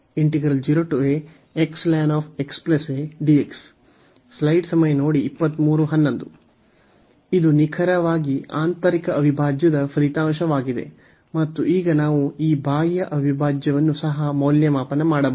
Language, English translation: Kannada, And this is exactly the result of the integral the inner integral, and now we can evaluate this outer integral as well